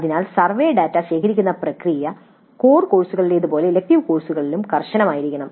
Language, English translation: Malayalam, So the process of collecting survey data must remain as rigorous with elective courses as with core courses